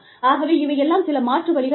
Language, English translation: Tamil, So, these are, some of the alternatives